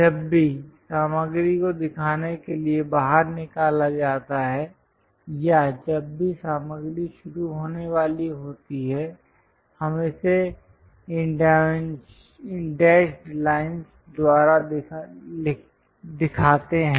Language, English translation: Hindi, Whenever, material has been scooped out to show that or whenever there is a material is about to begin, we show it by these dashed lines